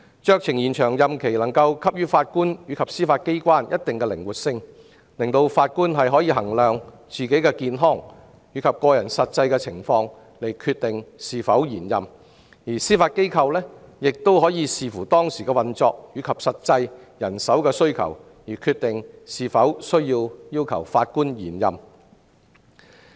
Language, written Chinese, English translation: Cantonese, 酌情延長任期能夠給予法官及司法機構一定的靈活性，讓法官可因應自己的健康及個人實際情況決定是否延任，而司法機構亦可視乎當時的運作及實際人手需要而決定是否要求法官延任。, Discretionary extension is a flexible arrangement to both Judges and the Judiciary . On the part of Judges they may decide whether to apply for extension based on their health and personal conditions; on the part of the Judiciary it may consider whether to offer discretionary extension to Judges based on the prevailing operation and actual manpower needs